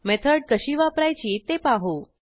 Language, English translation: Marathi, Lets see how to use a method